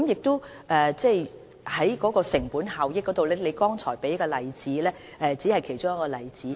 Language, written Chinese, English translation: Cantonese, 在成本效益方面，張議員剛才提出的只是其中的一個例子。, In respect of cost - effectiveness what Dr CHEUNG cited was only one of the examples